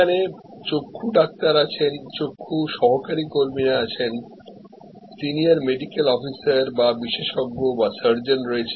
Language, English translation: Bengali, So, there are eye doctors, there are ophthalmic assistance and there are senior medical officers or experts or surgeons